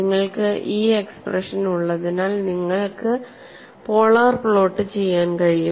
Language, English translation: Malayalam, Since you have these expressions, it is possible for you to do the polar plot